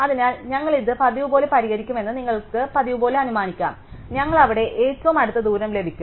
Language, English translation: Malayalam, So, we will, you can assume as usual that we will solve these recursively, we will get the closest distance there